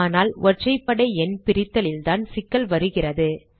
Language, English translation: Tamil, It is a very trivial program but the issue comes in dividing odd numbers